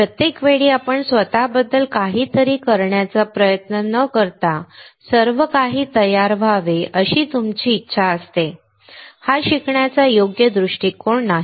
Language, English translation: Marathi, Every time you wanting everything to be ready without yourself trying to do something about it, is not a correct approach for learning